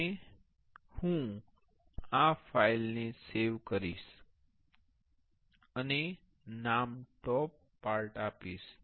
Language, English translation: Gujarati, And I will save this file and give the name toppart